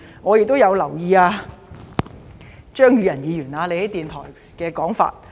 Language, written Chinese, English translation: Cantonese, 我亦有留意張宇人議員在電台的說法。, I am also aware of what Mr Tommy CHEUNG said at a radio station interview